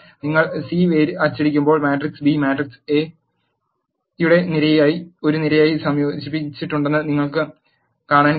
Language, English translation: Malayalam, When you print the C you can see that the matrix B has been concatenated as a column to the matrix A